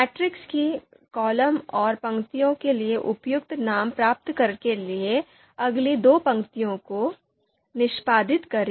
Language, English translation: Hindi, Let’s execute next two lines to get the appropriate names for these columns for the matrix and the rows of the matrix